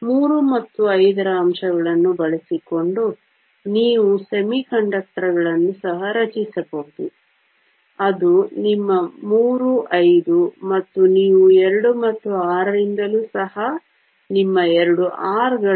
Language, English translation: Kannada, You can also form semiconductors by using elements from 3 and 5, those are your three fives, and you can also from 2 and 6 those are your two sixes